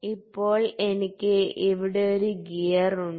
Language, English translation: Malayalam, Now, I have got a gear here